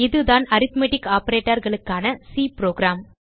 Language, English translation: Tamil, Here is the C program for arithmetic operators